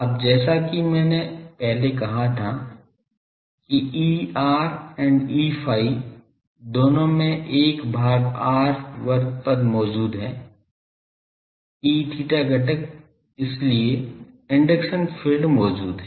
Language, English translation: Hindi, Now, as I said earlier is that 1 by r square term is present in both E r and E phi, E theta component, so induction fields are present